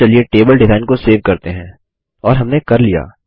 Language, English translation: Hindi, Now let us save the table design and we are done